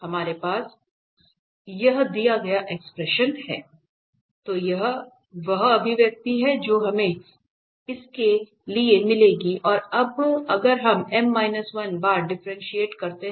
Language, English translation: Hindi, So, this is the expression we will get for this one and now if we differentiate this m minus 1 times